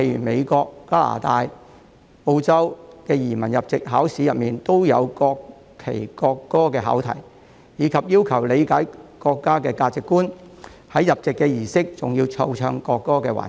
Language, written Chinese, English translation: Cantonese, 美國、加拿大及澳洲等許多國家的移民入籍考試中，亦有關於國旗和國歌的考題，以及要求申請人理解國家的價值觀，入籍儀式中還有奏唱國歌的環節。, There are also questions regarding the national flag and the national anthem in the citizenship and naturalization test of many countries such as the United States Canada and Australia . Applicants are also required to understand the values of the country . There is also a session in the naturalization ceremony during which the national anthem is played and sung